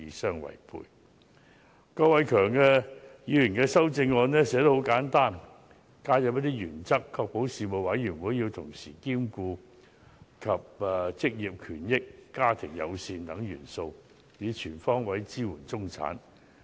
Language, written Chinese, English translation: Cantonese, 郭偉强議員的修正案寫得很簡單，只加入一些原則，要求確保事務委員會要同時兼顧職業權益、家庭友善等元素，以全方位支援中產。, The drafting of Mr KWOK Wai - keungs amendment is very simple . It seeks to include some principles in the motion and urges the Government to ensure that due regard would be given by the proposed commission to such areas as occupational right family - friendliness and so on in order to provide support to the middle class on all fronts